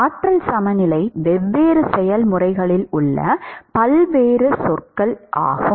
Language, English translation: Tamil, What are all the different terms involved in energy balance, different processes